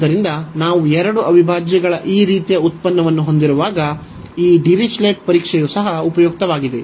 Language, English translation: Kannada, So, this Dirichlet’s test is also useful, when we have this kind of product of two integrals